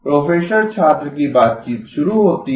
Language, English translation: Hindi, “Professor student conversation starts